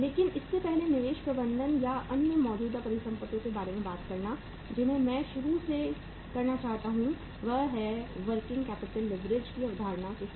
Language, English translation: Hindi, But before talking about the investment management or the other current assets I would like to uh introduce you with the concept of working capital leverage